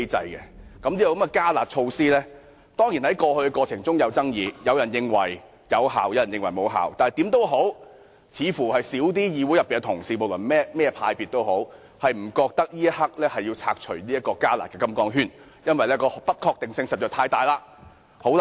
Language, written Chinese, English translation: Cantonese, 此"加辣"措施過去當然有爭議，有人認為有效，亦有人認為無效，但無論如何，議會內任何派別的同事，大多認為此刻無需要拆除"加辣"的"金剛圈"，因為不確定因素實在太多。, This enhanced curb measure has certainly aroused controversy . While some considered it effective others thought otherwise . Nevertheless most Members of this Council irrespective of which political parties or groupings they belong think that the restriction imposed by the enhanced curb measures should not be relaxed in view of the uncertainties involved